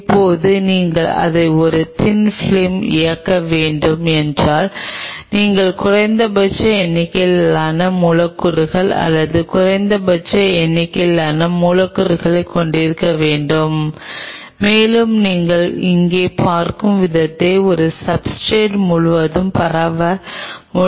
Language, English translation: Tamil, Now if you have to play it as a thin film then you have to have minimalistic number of molecules or minimum number of molecules and you should be able to spread it out all over the substrate the way you see here